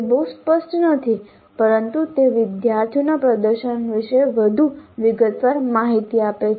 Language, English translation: Gujarati, That is not very clear but it does give more detailed information about the performance of the students